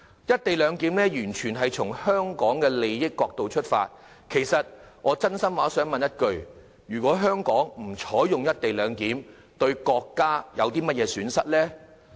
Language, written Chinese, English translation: Cantonese, "一地兩檢"安排完全從香港利益的角度出發，我真心想問一句，如果香港不實施"一地兩檢"，對國家有何損失？, The co - location arrangement is made purely from the perspective of the interests of Hong Kong . I really wish to ask what harm will it do to the country if Hong Kong fails to implement co - location?